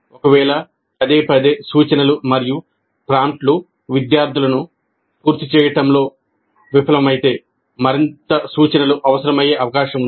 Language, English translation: Telugu, And if repeated cues and prompts fail to get the students complete the task, it is likely that further instruction is required